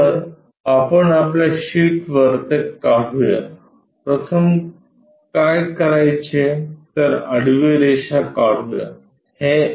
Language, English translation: Marathi, So, let us draw that on our sheet first thing what we have to do draw a horizontal line